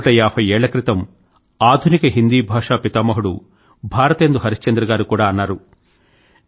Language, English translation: Telugu, Hundred and fifty years ago, the father of modern Hindi Bharatendu Harishchandra had also said